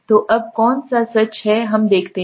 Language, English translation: Hindi, So now which one is true let us see